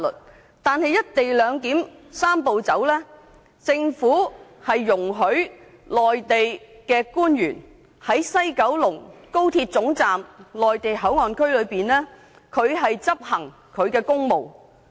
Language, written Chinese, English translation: Cantonese, 可是，根據"一地兩檢"的"三步走"安排，政府容許內地官員在西九高鐵總站的內地口岸區內執行公務。, However under the Three - step Process to implement the co - location arrangement the Government allows Mainland officials to perform duties in the Mainland Port Area inside the West Kowloon Station